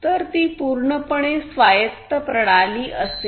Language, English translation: Marathi, So, that will be a fully autonomous system